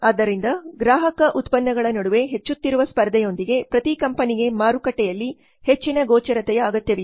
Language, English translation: Kannada, So with growing competition among consumer products every company needs greater visibility in the market